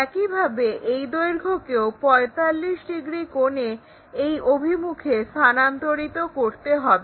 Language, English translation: Bengali, Similarly, transfer that length in this direction with the same 45 degrees angle